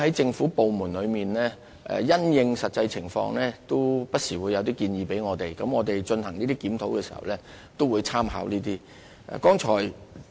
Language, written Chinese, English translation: Cantonese, 政府部門也會因應實際情況，不時向我們提出建議，我們在進行有關檢討時，會參考相關意見。, Government departments will in the light of the actual situation put forward proposals to us and we will make reference to the relevant opinions when we conduct reviews